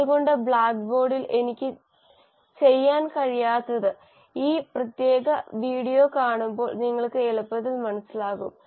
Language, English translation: Malayalam, So whatever I could not do it on the blackboard will be easily understood by you when you watch this particular video